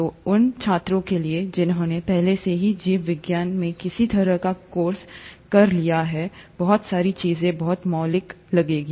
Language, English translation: Hindi, So for those students who have already taken some sort of a course in biology, a lot of things will sound very fundamental